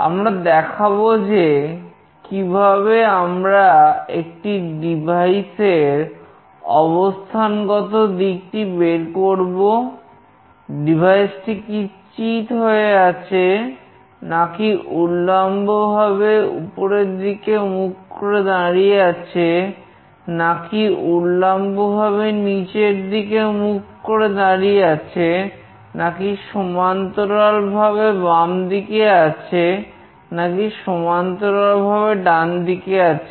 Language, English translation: Bengali, We will be showing how we can find out the orientation of a device, whether the device is lying flat or is vertically up or it is vertically down or it is horizontally left or it is horizontally right